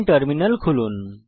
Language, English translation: Bengali, Open the terminal